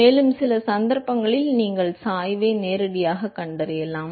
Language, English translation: Tamil, And some cases you may be able to find the gradient directly